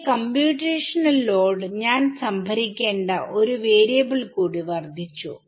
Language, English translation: Malayalam, So, I have my computational load has increased by one more variable that I have to store